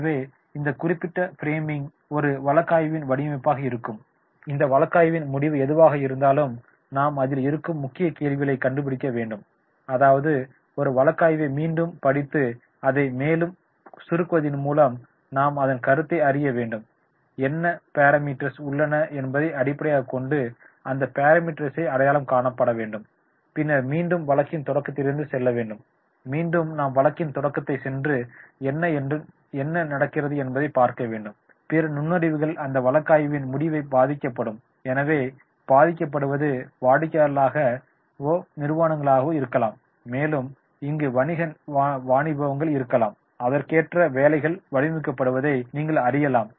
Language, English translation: Tamil, So, this particular framing, this will be the framing of the case study, whatever case study is given, we have to find out the key questions, we have to find out that is the what is the flipping and scheming of the case, the case is based on what parameters are there, those parameters are to be identified, then we have to go to the beginning of the case, that is again, again we have to go to the beginning of the case and find out what is going on, what is the problem is there and the ending of the case, that is what other insights may impact our decision